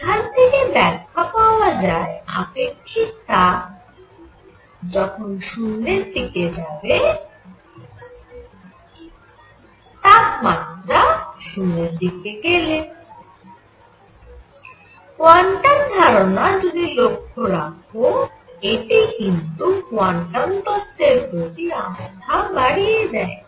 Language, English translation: Bengali, So, that explained that specific heat should go to 0 as T goes to 0, if you follow quantum ideas and that again established the trust in quantum theory